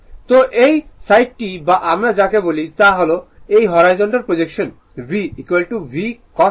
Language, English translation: Bengali, So, this side your what you call this is this your horizontal projection V is equal to V Cos alpha right